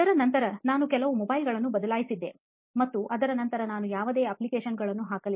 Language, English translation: Kannada, Then after that, like I have changed few mobiles that and then after that I did not install any apps